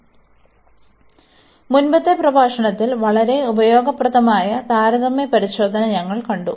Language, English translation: Malayalam, So, in the previous lecture we have seen very useful comparison test